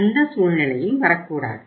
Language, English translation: Tamil, So that situation should not come